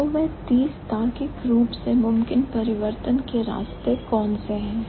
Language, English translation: Hindi, So, what are the 30 logically possible path of change